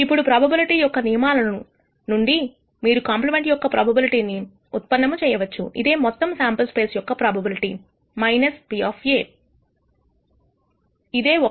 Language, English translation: Telugu, Now from the rules of probability you can actually derive the probability of a compliment is nothing but the probability of the entire sample space minus the probability of A, which is one